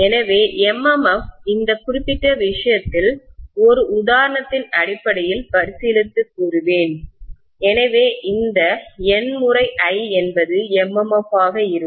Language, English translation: Tamil, So I would say that MMF in this particular case, so we are considering an example basically, so in this MMF will be N times I, right